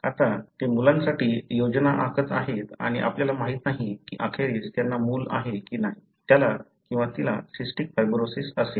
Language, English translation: Marathi, Now, they are planning for children and we don’t know whether eventually they have a child, whether he or she would have cystic fibrosis